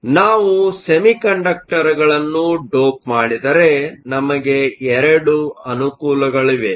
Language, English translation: Kannada, So, we have 2 advantages, if we dope semiconductors